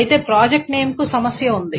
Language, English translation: Telugu, However, project name has a problem